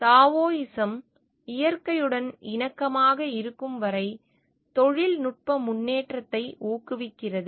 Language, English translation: Tamil, Taoism encourages technological advancement as long as it is harmony with in nature